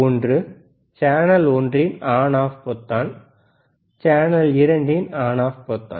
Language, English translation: Tamil, One is on off on off button at the channel one, on off button at channel 2